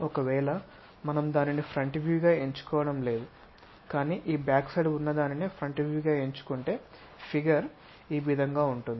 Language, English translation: Telugu, If we are not picking that one as the front view, but if you are picking this back side one as the front view, the way figure will turns out to be in this way